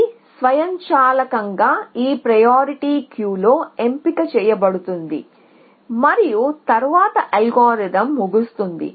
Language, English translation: Telugu, It will automatically get picked in this priority queue and then the algorithm will terminate